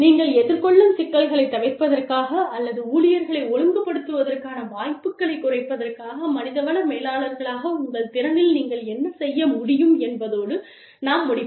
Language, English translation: Tamil, And, we will end with, what you can do in your capacity as human resources managers, to avoid, the problems that you encounter, or to minimize the chances of disciplining employees